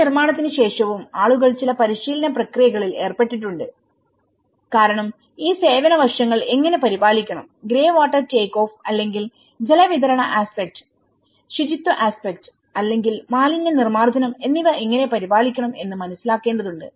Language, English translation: Malayalam, And even, after this construction, people have been engaged in certain training process because they need to get into understanding how to maintain these service aspect, how to maintain the greywater take off or the water supply aspect, the sanitation aspect or the waste disposal